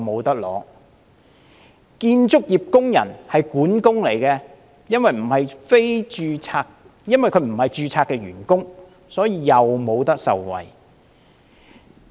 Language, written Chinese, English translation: Cantonese, 一名建造業工人，任職管工，但因為他不是註冊員工，於是亦不能受惠。, A construction worker who serves as a foreman also cannot benefit from it because he is not a registered worker